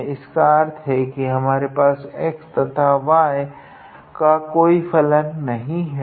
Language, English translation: Hindi, So, we have x y